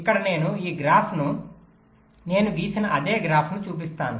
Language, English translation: Telugu, ah, here we show this graph, that same graph i had drawn